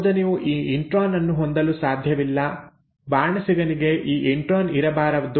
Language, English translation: Kannada, The recipe cannot afford to have this intron, the chef cannot have this intron